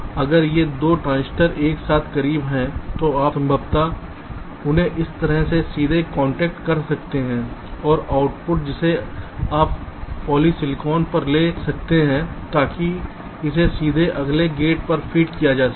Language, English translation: Hindi, so if these two transistors are closer together, then you can possibly connect them directly like this, and the output you can take on polysilicon so that it can be fed directly to the next gate